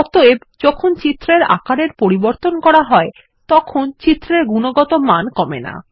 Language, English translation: Bengali, Therefore, when the images are resized, the picture quality is unaffected